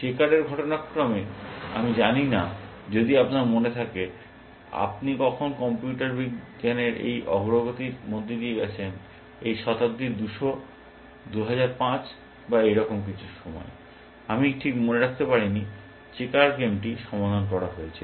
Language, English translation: Bengali, Checkers incidentally I do not know, if you remember when you went through this progress in computer science, at some time in this century 2005 or something, I do not